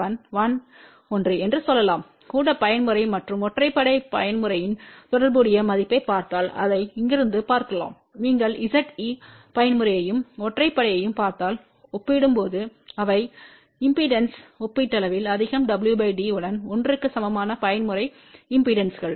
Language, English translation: Tamil, 1 2 let us say 1 one can see that from here if you look at corresponding value of even mode and odd mode impedances they are relatively higher compare to if you look at the Z even mode and odd mode impedances corresponding to w by d equal to 1